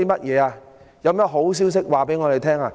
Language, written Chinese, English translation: Cantonese, 有甚麼好消息向我們公布？, Is there any good news to tell us?